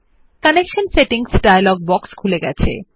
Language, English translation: Bengali, This opens up the Connection Settings dialog box